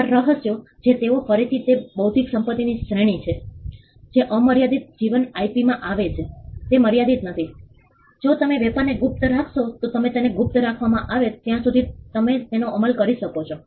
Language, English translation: Gujarati, Trade secretes they are again they are a category of an intellectual property right which fall within the unlimited life IP, they are not limited by if you can keep the trade secret a confidential then you can enforce it as long as they are kept confidential